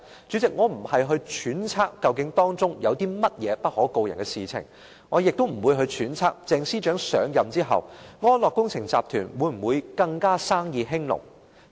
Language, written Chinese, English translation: Cantonese, 主席，我並非揣測究竟當中有甚麼不可告人的事情，我亦不會揣測鄭司長上任後，安樂工程集團會否更生意興隆。, President I am not speculating on whether any hidden agenda was involved neither will I speculate on whether ATAL Engineering Group will fare even better following Ms CHENGs assumption of office